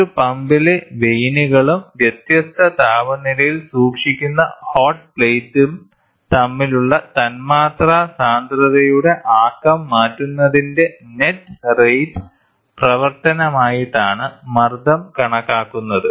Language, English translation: Malayalam, The pressure is measured as a function of net rate of change of momentum of molecular density between the vanes of a pump and the hot plate at which are kept at different temperatures